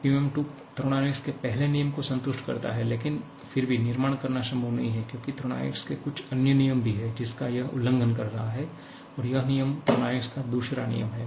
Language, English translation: Hindi, PMM 2 satisfies the first law of thermodynamics but still it is not possible to produce a manufacture because there has to be some other laws of thermodynamics which it is violating and that law is a second law of thermodynamics